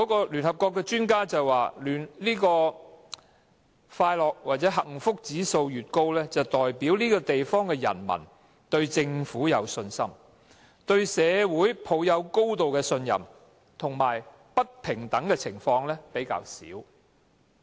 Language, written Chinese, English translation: Cantonese, 聯合國的專家表示，快樂或幸福指數高，代表這個地方的人民對政府有信心，對社會抱有高度的信任，以及不平等的情況較少。, According to experts of the United Nations a high score in the World Happiness Index indicates that people in that place are confident of their Government trust firmly in their community and see fewer inequalities